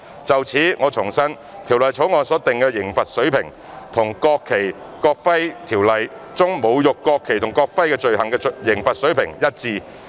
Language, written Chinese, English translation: Cantonese, 就此，我重申《條例草案》所訂的刑罰水平，與《國旗及國徽條例》中侮辱國旗或國徽罪行的刑罰水平一致。, In this connection I must reiterate that the level of penalty proposed in the Bill is on par with that for the offence of insulting the national flag or the national emblem under the National Flag and National Emblem Ordinance